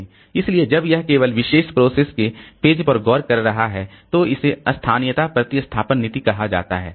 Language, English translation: Hindi, So, when it is looking into the pages of the particular process only, so this is called local replacement policy